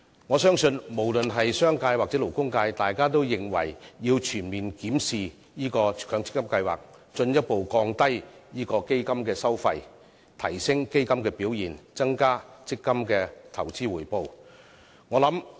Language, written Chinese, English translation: Cantonese, 我相信，無論是商界或勞工界都認為要全面檢視強積金計劃，進一步降低基金收費，提升基金表現，以增加強積金的投資回報。, I believe both the commercial and labour sectors consider it necessary to comprehensively review the MPF scheme to further reduce fund fees and enhance fund performance with a view to increasing the investment return on MPF